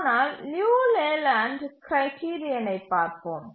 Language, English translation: Tamil, But let's look at the Leland criterion